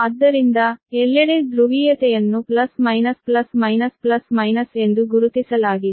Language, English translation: Kannada, so everywhere polarity is marked plus, minus, plus, minus, plus, minus